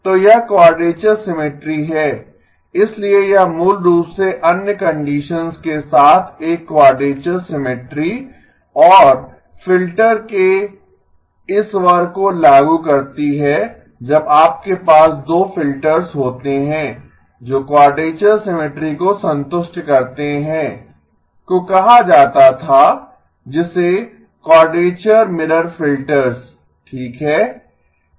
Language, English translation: Hindi, So this quadrature symmetry, so this basically along with the other conditions enforce a quadrature symmetry and this class of filters when you have 2 filters which satisfy quadrature symmetry came to be called as quadrature mirror filters okay